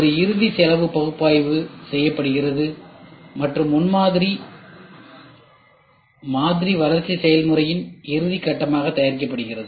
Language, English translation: Tamil, A final cost analysis is performed and prototype model is produced as a final step in the development process